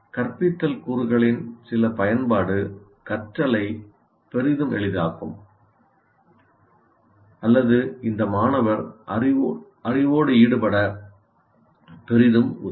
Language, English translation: Tamil, Certain use of instructional components will greatly facilitate learning or greatly facilitate the student to get engaged with the knowledge